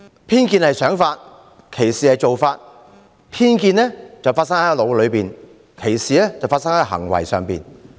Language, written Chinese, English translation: Cantonese, 偏見是想法，歧視是做法；偏見發生在腦袋，歧視表達於行為。, Prejudice relates to thinking; discrimination relates to deeds . Prejudice occurs in ones mind; discrimination is expressed by ones acts